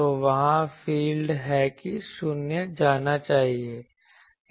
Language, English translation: Hindi, So, there will be what the field should go there 0